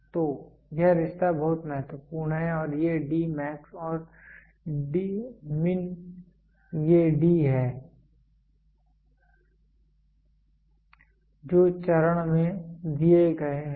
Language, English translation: Hindi, So, this is this relationship is very very important and these D max and min are these D which are given in the step